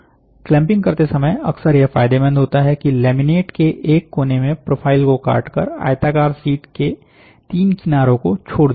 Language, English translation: Hindi, When clamping, it is often advantages to simply cut a profile into one edge of a laminate, leaving three edges of the rectangular sheet uncut ok